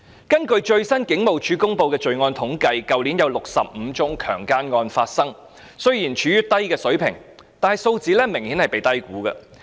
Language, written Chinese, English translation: Cantonese, 根據警務處最新公布的罪案統計數字，去年有65宗強姦案發生，看似處於低水平，但數字明顯被低估。, According to the latest crime statistics released by the Hong Kong Police Force there were 65 rape cases last year and although the number seems to be on the low side this is obviously an underestimation